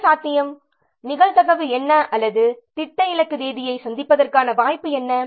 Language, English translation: Tamil, What is the probability or what is the likelihood of meeting the plan target date